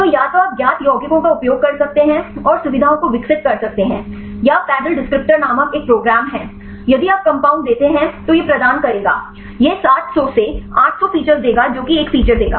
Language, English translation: Hindi, So, either you can use the known compounds and develop the features or there is one a program called paddle descriptor; this will provide if you give the compound, this will provide a set of features they put seven hundred to eight hundred features will give